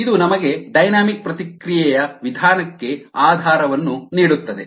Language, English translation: Kannada, ok, this gives us the basis for the dynamic response method